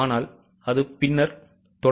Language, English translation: Tamil, But it comes later on